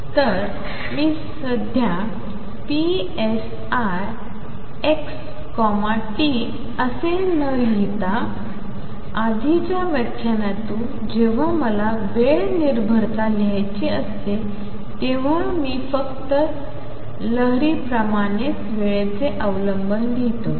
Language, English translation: Marathi, So, I am not right now psi x comma t and recall from earlier lectures, that when I want to write the time dependence I will just put in the time dependence as happens for a wave